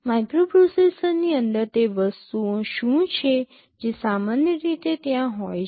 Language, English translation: Gujarati, Inside the microprocessor what are the things that are typically there